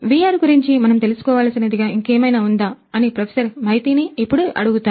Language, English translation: Telugu, So, let me now ask Professor Maiti is there anything else that we should know about the VR facility over here